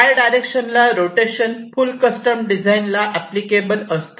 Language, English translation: Marathi, well, rotating in the y direction is applicable for full custom design